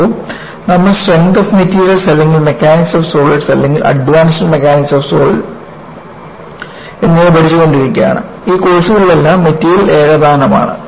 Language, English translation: Malayalam, See, you have been studying strength of materials or mechanics of solids or advance mechanics of solids, in all those courses you have idealize the material is homogeneous